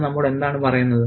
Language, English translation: Malayalam, And what does that tell us